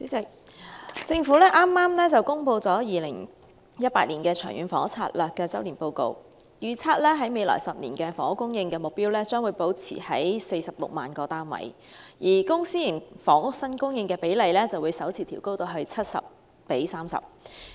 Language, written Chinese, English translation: Cantonese, 主席，政府剛公布了《長遠房屋策略》2018年周年進度報告，預測未來10年的房屋供應目標將保持在46萬個單位，而公私營房屋新供應比例則會首次調高至 70：30。, President the Government has just released the Long Term Housing Strategy Annual Progress Report 2018 which projected the 10 - year total housing supply target at 460 000 units and the publicprivate housing split will be revised for the first time to 70col30